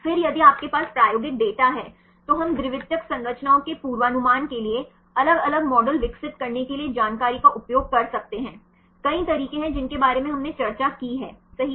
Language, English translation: Hindi, Then if you have the experimental data then we can utilize the information to develop different models for predicting the secondary structures right there are several methods we discussed right